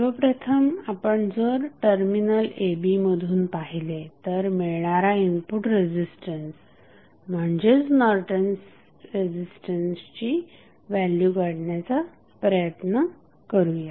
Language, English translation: Marathi, So, if you look from the side a, b the input resistance would be nothing but Norton's resistance